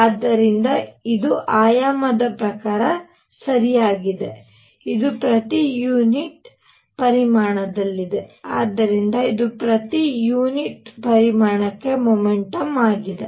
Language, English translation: Kannada, So, this is dimensionally correct this is at per unit volume; so, this is momentum per unit volume